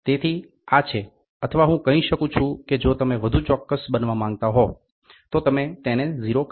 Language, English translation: Gujarati, So, this is or I can say if you want to be more specific we call it a 0